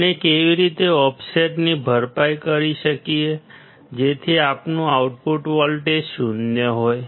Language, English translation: Gujarati, How can we compensate for the offset such that our output voltage would be zero